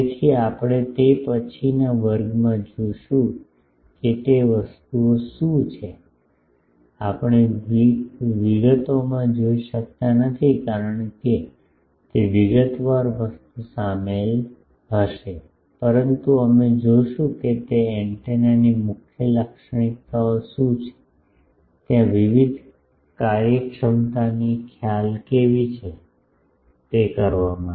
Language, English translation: Gujarati, So, that we will see in the next class what is the those things, we would not see in details because that detailed thing is quite involved, but we will see that what are the salient features of those antennas, there are various efficiency concept how to do that